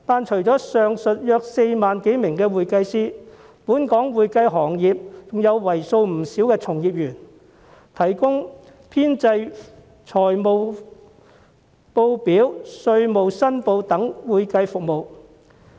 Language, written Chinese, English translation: Cantonese, 除了上述約4萬多名會計師，本港會計行業還有為數不少的從業員，提供編製財務報表、稅務申報等會計服務。, Apart from 40 000 - odd certified public accountants there is a large number of practitioners in the accounting profession of Hong Kong responsible for providing accounting services such as preparing financial statements tax reporting etc